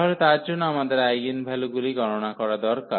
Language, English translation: Bengali, So, for that we need to compute the eigenvalues